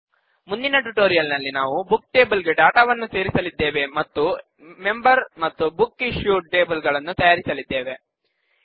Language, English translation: Kannada, In the next tutorial, we will add data to the Books table and create the Members and BooksIssued tables